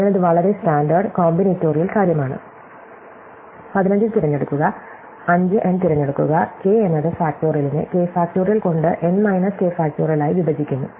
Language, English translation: Malayalam, So, this is a very standard, combinatorial thing, 15 choose 5 n choose k is n factorial divided by k factorial into n k factorial, right